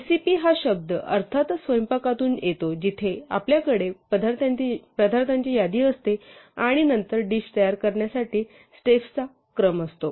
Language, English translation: Marathi, So, the word recipe of course, comes from cooking where we have list of ingredients and then a sequence of steps to prepare a dish